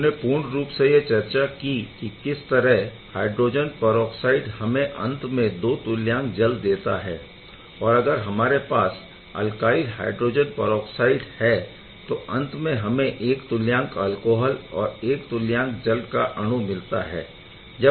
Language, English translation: Hindi, So, overall as we discussed that if it is hydrogen peroxide then it will end up giving 2 equivalent of water, if it is alkyl hydro peroxide it will end up giving one equivalent of alcohol and another equivalent of the water molecule